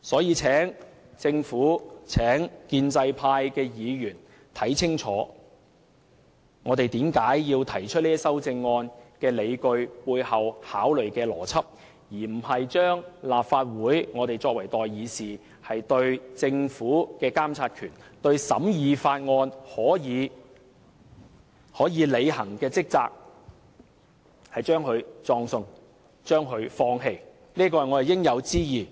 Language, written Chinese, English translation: Cantonese, 我請政府和建制派議員清楚看看我們提出修正案的理據，以及背後考慮的邏輯，而非把立法會，把我們作為代議士對政府的監察權，對審議法案可以履行的職責葬送和放棄，這便是我們的應有之義。, I call on the Government and pro - establishment Members to look into the justifications of and the logic behind our amendments . As elected representatives in the Legislative Council it is incumbent upon us to monitor the Government and scrutinize various bills . These are the duties and responsibilities that we should not duck or abdicate